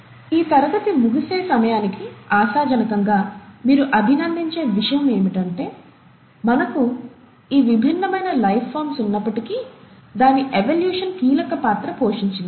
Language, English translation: Telugu, What you’ll appreciate hopefully by the end of this class is that though we have these different forms of life, its evolution which has played the key role